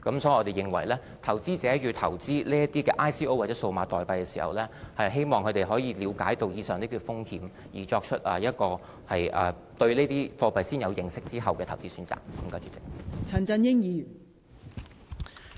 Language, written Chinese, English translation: Cantonese, 所以，我們希望投資者投資這些 ICO 或數碼貨幣時，可以了解上述的風險，先對這些貨幣有所認識，然後才作出投資選擇。, Therefore we hope that if investors want to invest in ICOs or digital currencies they should realize the above mentioned risks . They should have some understanding of these currencies before making their choice of investment